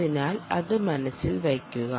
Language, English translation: Malayalam, ok, so keep that in mind